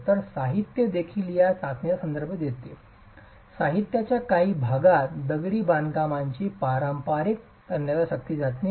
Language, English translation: Marathi, So the literature also refers to this test in some parts of the literature as conventional tensile strength test of masonry